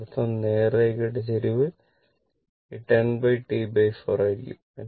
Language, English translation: Malayalam, So, and that means, the slope of the straight line slope of the straight line will be this 10 divided by T by 4 right